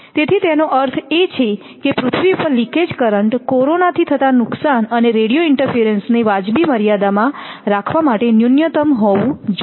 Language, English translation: Gujarati, So, that means that leakage of current to earth should be minimum to keep the corona loss and radio interference within reasonable limits